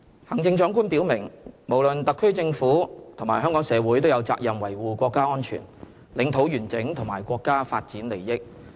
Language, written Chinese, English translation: Cantonese, 行政長官表明，無論特區政府及香港社會都有責任維護國家安全、領土完整和國家發展利益。, The Chief Executive stated clearly that both the Government and society had the responsibility to safeguard our countrys security territorial integrity and development interests